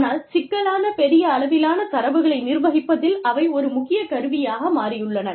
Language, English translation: Tamil, But, they have become an essential tool, in managing these complex, you know, volumes of information, that we have